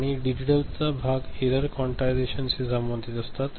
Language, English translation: Marathi, And digital part error is related to quantization